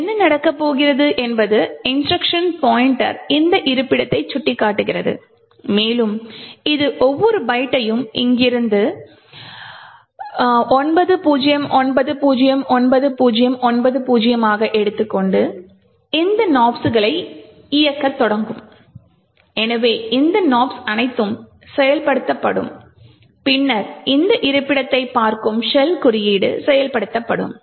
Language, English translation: Tamil, So what is going to happen is that the instruction pointer would point to this location and it would pick up each byte from here this is 90909090 and start executing this Nops so all of this Nops gets executed and then your actual shell code which is staring at this location would then get executed